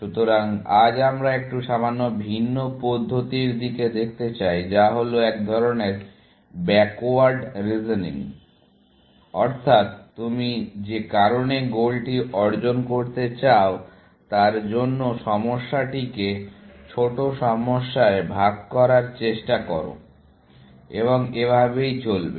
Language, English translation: Bengali, So, today, we want look at a slightly different approach, which is kind of, has a flavor of backward reasoning, in the sense, you reason from the goal that you want to achieve, and try to break down the problem into smaller problems and so on, essentially